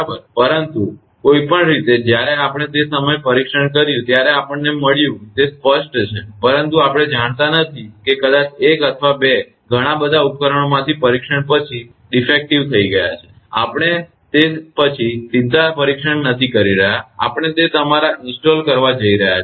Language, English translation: Gujarati, So, but anyway when we test at the time we found everything is a clear, but we do not know maybe out of several same equipment maybe 1 or 2 have become defective after the test that is not because, we are not testing after that directly we are going for your installing that right